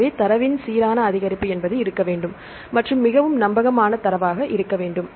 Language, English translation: Tamil, So, there should be a uniform increase of data and there should be a very reliable data right